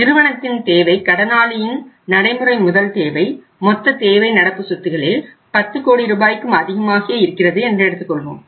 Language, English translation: Tamil, If the requirement of the firm is the borrower’s working capital requirement is say total requirement in all the current assets is say 10 crore and above